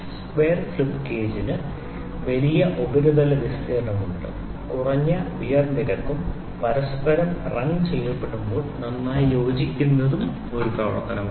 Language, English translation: Malayalam, Square slip gauge have larger surface area and lesser wear rate they are they also adhere better to each other when wrung together, wrung is an operation